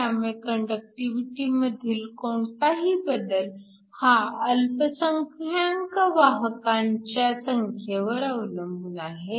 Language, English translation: Marathi, So, the increase in current is always due to the increase in the minority carriers